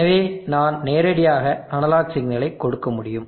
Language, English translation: Tamil, Therefore I can directly give analog signal to that